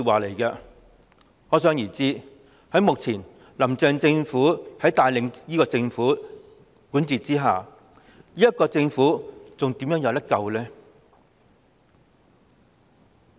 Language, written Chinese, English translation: Cantonese, 可想而知，現時由"林鄭"帶領和管治的政府怎會有救呢？, As one can imagine is this Government salvageable under the leadership and governance of Carrie LAM?